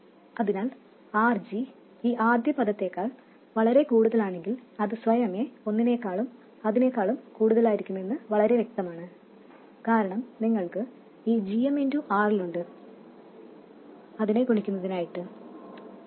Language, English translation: Malayalam, So it is very obvious that if RG is much more than this first term, it will be automatically more than that one and that one, because you have this GMRL multiplying that